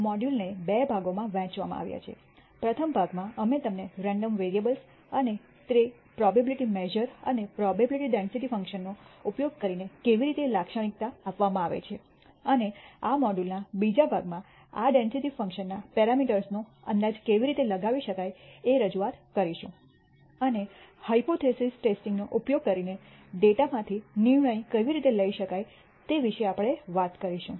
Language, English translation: Gujarati, The module is divided into two parts: in the first part we will provide you an introduction to random variables and how they are characterized using probability measures and probability density functions, and in the second part of this module we will talk about how parameters of these density functions can be estimated and how you can do decision making from data using the method of hypothesis testing